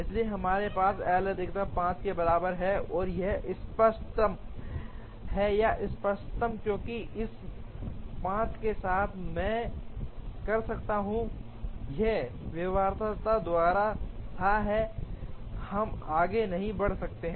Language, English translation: Hindi, So, we have L max equal to 5, and this is optimal or optimum, because with this 5, I can this is fathom by feasibility we cannot proceed